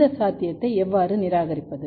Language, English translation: Tamil, How to rule out this possibility